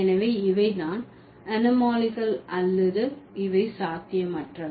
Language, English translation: Tamil, So, these are the anomalous or these are the impossible utterances, right